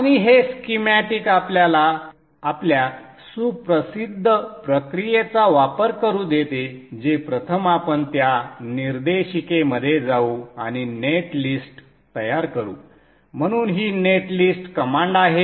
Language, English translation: Marathi, So now let us save all this and this schematic let us use our well known process which is first we go into that directory and generate the net list so this is the net list so this is the net list command and I think you recognize this